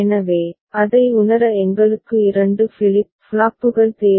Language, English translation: Tamil, So, we need 2 flip flops to realize it